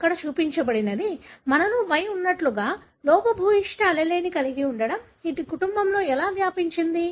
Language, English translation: Telugu, This is what is shown here, like we have Y which is, having a defective allele, how it would be transmitted in the family